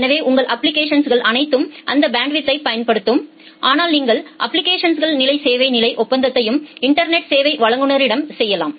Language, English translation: Tamil, So, that way all your applications will use that bandwidth, but you can also do that application level service level agreement to it the network service provider